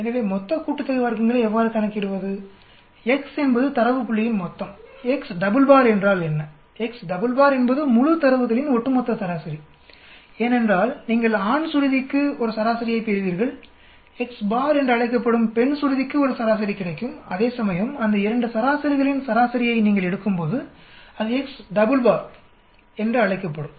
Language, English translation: Tamil, So total sum of squares is how do we calculate x, x is any value minus x double bar, what does x double bar mean x double bar is overall mean of the entire data because you will get a mean for the male pitch, you will get a mean for the female pitch that will be called x bar, whereas when you take the mean of those 2 means that will be called x double bar